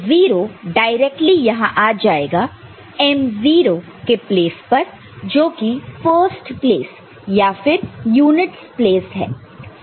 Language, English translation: Hindi, So, 0 directly comes here as the m0 the value in the first place, units place